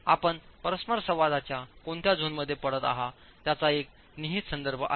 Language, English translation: Marathi, There is an implicit reference to which zone of the interaction surface are you falling in, right